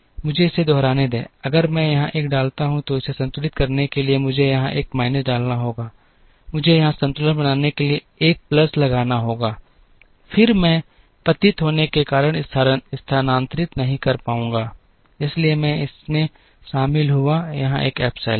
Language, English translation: Hindi, Let me repeat it, if I put a 1 here, so to balance it I have to put a minus 1 here, I have to put plus 1 to balance here, then I am not able to move, because of degeneracy, so I add an epsilon here